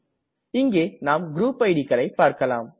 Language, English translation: Tamil, Here we can see the group ids